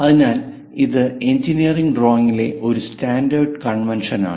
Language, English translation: Malayalam, So, this is a standard convention in engineering drawing